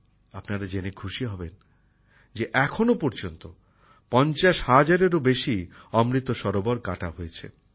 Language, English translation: Bengali, You will be pleased to know that till now more than 50 thousand Amrit Sarovars have been constructed